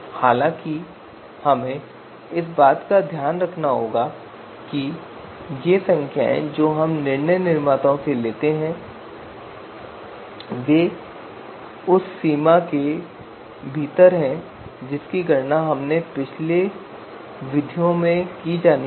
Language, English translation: Hindi, However, we have to take care that you know these these you know numbers that we take from you know decision maker this would lie within within the range which are you know to be you know computed by the previous methods